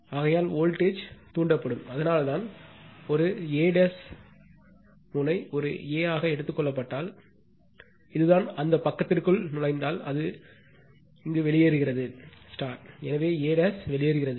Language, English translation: Tamil, Therefore, voltage will be induced, so that is why, if we look in to that from a dash say terminal is taken as a, this is the, it is leaving if a is entering into that page, and therefore a dash is leaving the page right